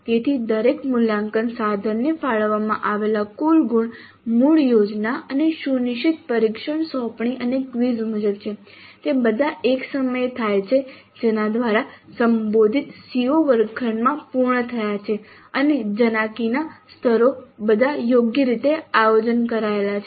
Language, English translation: Gujarati, So the total marks allocated to each assessment instrument are as per the original plan and the scheduled test assignments and quizzes they all occur at a time by which the addressed CEOs have been completed in the classrooms and the cognitive levels are all appropriately planned